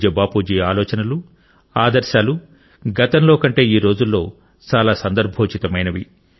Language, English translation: Telugu, Revered Bapu's thoughts and ideals are more relevant now than earlier